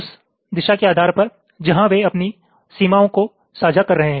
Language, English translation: Hindi, ok, depending on the direction where they are sharing their boundaries